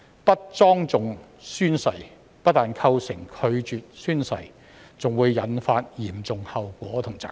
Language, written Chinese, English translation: Cantonese, 不莊重宣誓不但構成拒絕宣誓，還會引發嚴重後果和責任。, The failure to solemnly take an oath not only constitutes refusal to take an oath but also brings about serious consequences and responsibilities